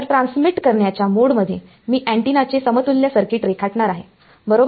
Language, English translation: Marathi, So, in the transmitting mode I am going to draw the circuit equivalent of antenna right